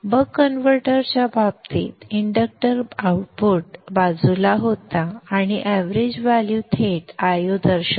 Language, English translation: Marathi, In the case the buck converter the inductor was on the output side and therefore the average value directly indicated I not